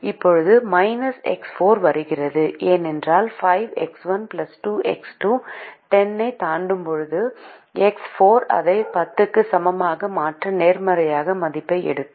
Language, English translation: Tamil, now the minus x four comes because when five x one plus two x two exceeds ten, then x four will take a positive value to make it equal to ten